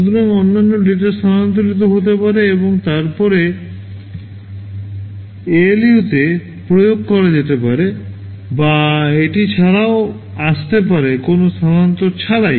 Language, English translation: Bengali, So, if the other data can be shifted and then appliedy to ALU or it can even come without that, so with no shifting